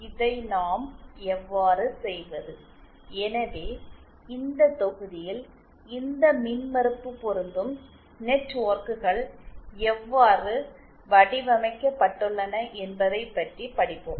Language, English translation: Tamil, How do we do this, so in this module, we will be studying about how these impedance matching networks are designed